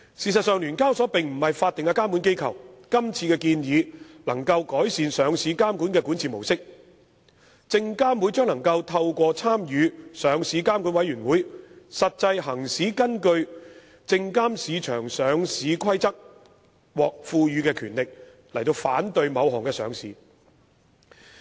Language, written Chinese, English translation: Cantonese, 事實上，聯交所並非法定監管機構，這次建議能夠改善上市監管的管治模式，證監會可透過參與上市監管委員會，實際行使根據《證券及期貨規則》獲賦予的權力反對某項上市。, Actually SEHK is not a statutory regulator . The proposals this time around can improve the governance structure for listing regulation . SFC will in effect be able to exercise its power under the Securities and Futures Rules to object to a listing through its participation on LRC